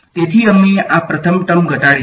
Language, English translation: Gujarati, So, we have reduced this first term